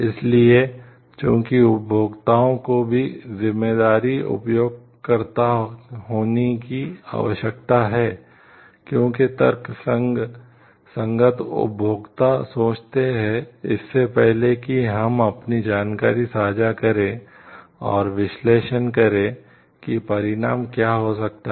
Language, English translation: Hindi, So, we as users also need to become responsible users, like rational users think, before we share our information and like analyze what could be the consequences of it